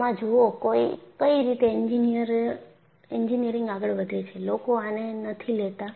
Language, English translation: Gujarati, See this is how engineering proceeds;people do not take it